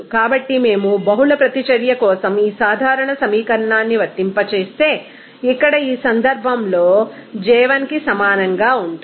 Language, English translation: Telugu, So, if we apply this general equation for multiple reaction, here in this case j will be equal to 1 only